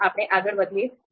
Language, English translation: Gujarati, So let’s move forward